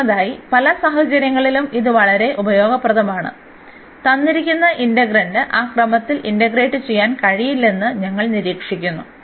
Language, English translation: Malayalam, First of all this is very useful very convenient in many situations, when we observe that the given integrand is not possible to integrate in that given order